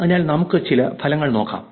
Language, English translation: Malayalam, So, let us look at some results